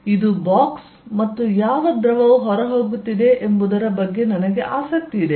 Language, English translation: Kannada, This is the box and I am interested in what fluid is going out